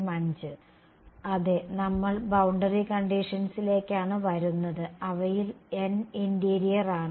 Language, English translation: Malayalam, Yeah we are coming to the boundary conditions n of them are interior